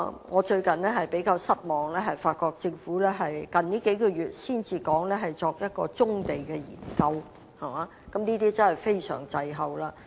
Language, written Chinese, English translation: Cantonese, 我近日較為失望，發現到政府於近月才提出會進行棕地研究，這其實便是相當滯後的。, It frankly disappoints me quite a bite to see that the Government started to talk about exploring the use of brownfields only recently as these few months . Such a move is honestly belated